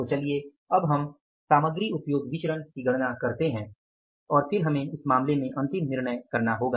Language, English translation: Hindi, So, let us calculate now the material usage variances and then we will have to make the final decision